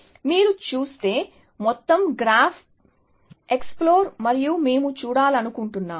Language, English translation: Telugu, If you have see explode the entire graph and we want to see